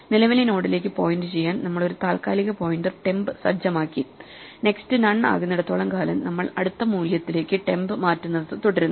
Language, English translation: Malayalam, We set up a temporary pointer to point to the current node that we are at and so long as the next is none we keep shifting temp to the next value